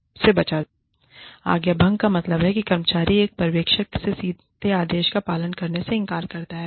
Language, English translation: Hindi, Insubordination means, that the employee, refuses to obey a direct order, from a supervisor